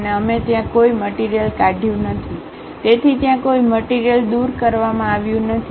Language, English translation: Gujarati, And we did not remove any material there; so there is no material removed